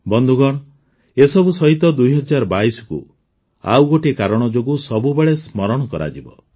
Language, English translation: Odia, Friends, along with all this, the year 2022 will always be remembered for one more reason